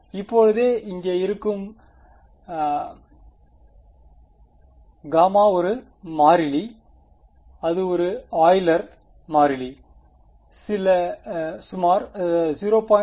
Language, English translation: Tamil, Right so, this gamma over here is a constant its a Euler constant some roughly 0